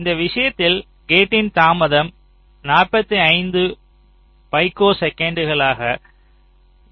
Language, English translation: Tamil, for this case the delay of the gate will be forty five picoseconds